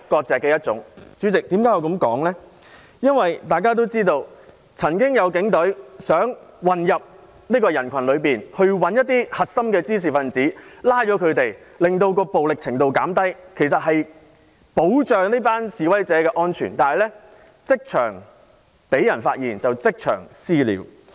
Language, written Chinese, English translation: Cantonese, 主席，大家也知道，有警員想混入人群當中找出核心滋事分子並拘捕他們，令整件事的暴力程度減低，原意是要保障示威者的安全，但他被人發現後卻被他們即場"私了"。, Chairman as we all know a police officer wanted to mingle with the crowd to identify the core troublemakers and arrest them so as to lower the violence level of the whole incident . His original intention was to protect the safety of protesters . However he was subjected to vigilante attacks on the spot when his identity was exposed